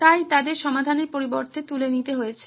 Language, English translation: Bengali, So they had to pick instead of solving this